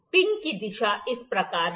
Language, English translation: Hindi, The direction of pin is like this